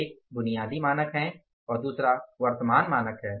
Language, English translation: Hindi, One are basic standards and second are current standards